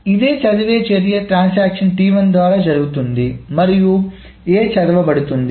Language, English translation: Telugu, So this read is done by transaction T1 and A is being read